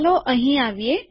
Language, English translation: Gujarati, Lets come here